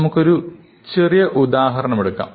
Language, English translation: Malayalam, So, let us look at another example